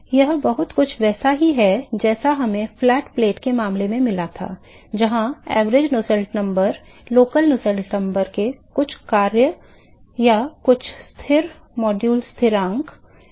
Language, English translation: Hindi, It is very similar to what we got in the flat plate case where the average Nusselt number is some function of the or some constant modulo constant of the local Nusselt number itself